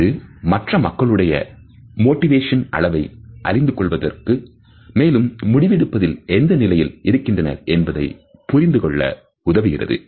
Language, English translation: Tamil, It can be helpful in learning the motivation level of other people and it can also help us to understand what is the stage of decision making